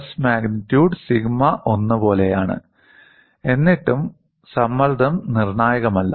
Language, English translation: Malayalam, The stress magnitude is something like sigma 1; still the stress is not critical